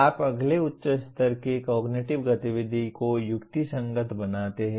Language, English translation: Hindi, You rationalize that is next higher level cognitive activity